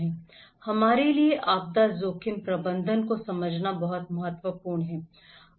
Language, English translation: Hindi, That is very important for us to understand the disaster risk management